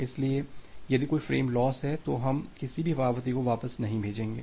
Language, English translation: Hindi, So, if there is a frame loss, so we will not send back any acknowledgement